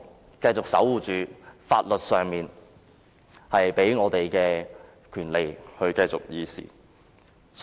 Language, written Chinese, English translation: Cantonese, 我們應守護法律賦予我們的權利，繼續議事。, We should safeguard our rights under the law and continue to debate various matters